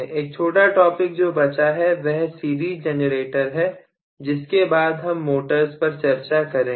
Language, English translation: Hindi, One small topic, that is left over is the series generator after which we will branch over to motors